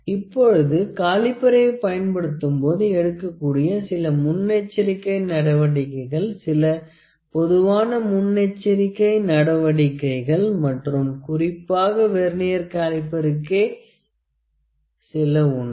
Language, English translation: Tamil, Now, there are certain precautions when we use the caliper; some general precautions and some specific to this Vernier caliper